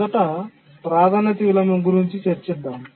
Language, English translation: Telugu, First, let's look at priority inversion